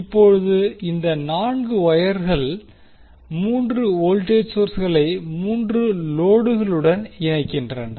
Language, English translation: Tamil, Now, these 4 wires are connecting the 3 voltage sources to the 3 loads